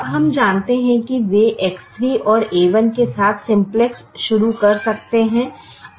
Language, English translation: Hindi, now we realize that they can start the simplex with the x three and a one